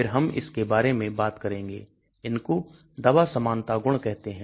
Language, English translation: Hindi, then we will talk about this, some of the drug likeness property